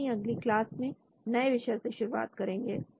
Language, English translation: Hindi, We will continue on a new topic in the next class